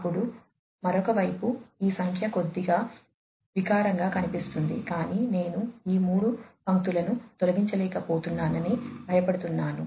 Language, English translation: Telugu, Then on the other side this figure looks little ugly, but I am, you know, I am afraid that I am not able to delete these 3 lines